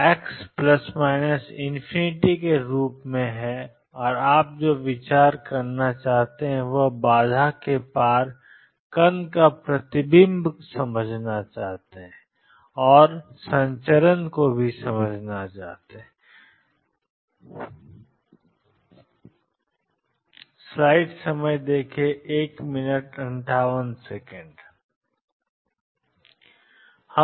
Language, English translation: Hindi, So, psi is not equal to 0 as exposed to plus or minus infinity and what you want to consider is the reflection and transmission of particles across barrier let me explain what means see earlier in one problem